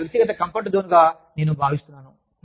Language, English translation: Telugu, I feel that, this is my personal comfort zone